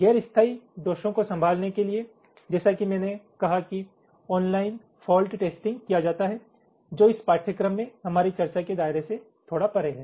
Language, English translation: Hindi, for handling the non permanent faults, as i said, some kind of online fault testing is done, which is a little beyond the scope of our discussion in this course